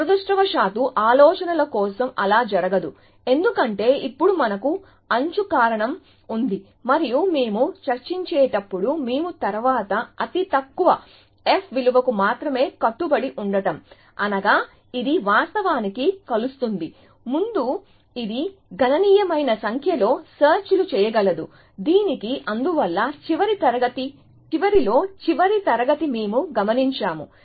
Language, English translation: Telugu, Unfortunately for ideas are that is not the case, because now we have edge cause involve and as we discuss, we increase the bound only to the next lowest f value, which means that it may do a significantly large number of searches before it actually converges to this, which is why we observed in the last, towards the end of the last class that instead of incrementing it to the next lowest step value